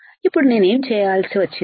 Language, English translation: Telugu, Now, what I had to do